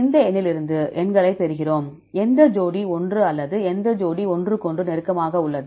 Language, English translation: Tamil, We get the numbers from this number which one or which two which pair is close to each other